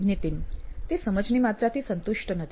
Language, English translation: Gujarati, He is not satisfied with the amount of understanding